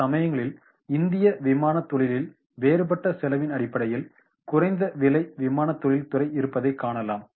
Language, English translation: Tamil, So many time like in Indian aviation industry we will find the differentiation is on the cost basis, the low cost aviation industry